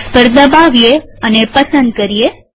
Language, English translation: Gujarati, Click on the box and select it